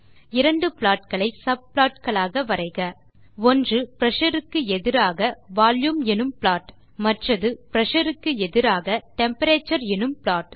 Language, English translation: Tamil, Draw two different plots as subplots, one being the Pressure versus Volume plot and the other being Pressure versus Temperature plot